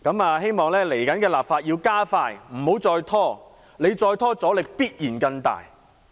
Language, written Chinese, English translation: Cantonese, 我希望未來要加快立法，不要再拖，再拖的話，阻力必然更大。, I hope that the Government will expedite the relevant legislative process and stop dragging on otherwise there will be more obstacles